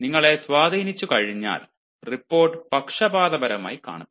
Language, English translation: Malayalam, you know, once you are influenced, the report will tend to be biased